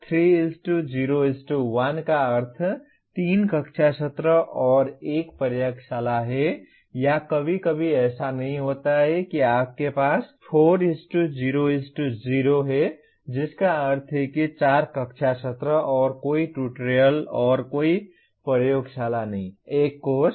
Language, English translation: Hindi, 3:0:1 means 3 classroom sessions and 1 laboratory or sometimes not too often that you have 4:0:0 that means 4 classroom sessions and no tutorial and no laboratory